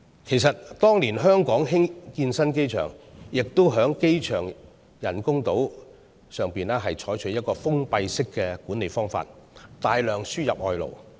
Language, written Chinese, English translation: Cantonese, 其實，當年香港興建新機場，也在機場人工島上採取封閉式的管理方法，大量輸入外勞。, In fact during the construction of the new airport years ago Hong Kong imported a large number of workers to work on the artificial airport island under closed management